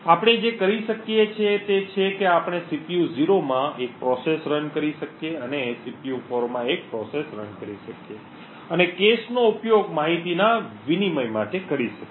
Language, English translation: Gujarati, What we would be able to do is we could run one process in the CPU 0 and one process in CPU 4 and make use of the shared cache to exchange information